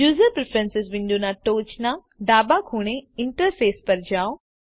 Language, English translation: Gujarati, Go to Interface at the top left corner of the User Preferences window